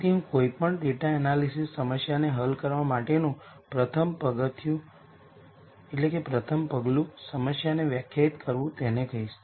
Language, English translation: Gujarati, So, I am going to call the rst step in any data analysis problem solving as defining the problem